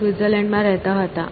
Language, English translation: Gujarati, So, he lived in Switzerland